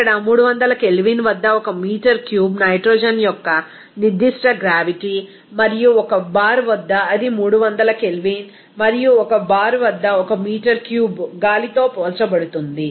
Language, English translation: Telugu, Here what is the specific gravity of 1 meter cube of nitrogen at 300 K and at 1 bar, that is compared with 1 meter cube of air at 300 K and 1 bar